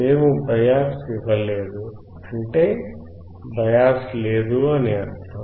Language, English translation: Telugu, We have not given a bias; that does not mean that bias is not there